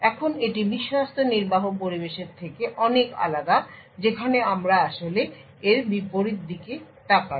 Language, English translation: Bengali, Now this is very different from Trusted Execution Environment where we actually look at the inverse of this